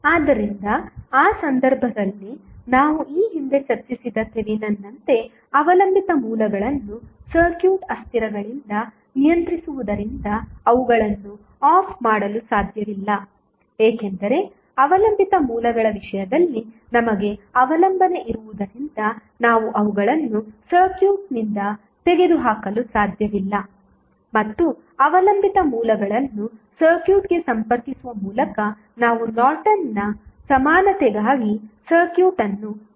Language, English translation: Kannada, So, in that case, the as with the Thevenin's we discussed previously the Independent sources cannot be turned off as they are controlled by the circuit variables, since we have the dependency in the case of dependent sources, we cannot remove them from the circuit and we analyze the circuit for Norton's equivalent by keeping the dependent sources connected to the circuit